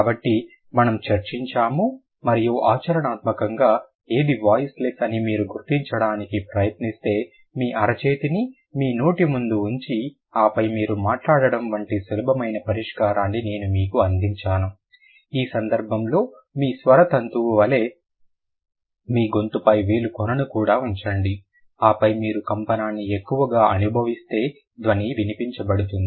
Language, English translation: Telugu, And the practically if you try to figure out which one is voiced, which one is voiceless, I gave you a simple solution, like keep your palm before your mouse and then you speak, also keep a keep a maybe a tip of a finger on your throat, like on your vocal cord, this area, and then you can, if you feel the vibration more, then the sound is going to be voiced